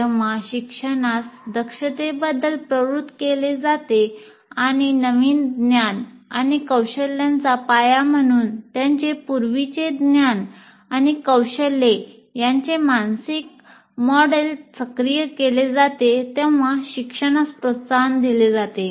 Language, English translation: Marathi, And learning is promoted when learners are motivated about the competency and activate the mental model of their prior knowledge and skill as foundation for new knowledge and skills